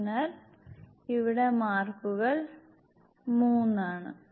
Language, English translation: Malayalam, So, here the mark is 3